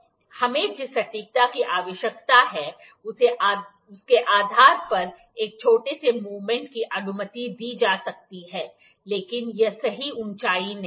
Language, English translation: Hindi, A small movement can be allowed like depending upon the accuracy that we required, but this is not the correct height